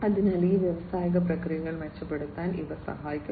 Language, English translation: Malayalam, So, these will help in improving these industrial processes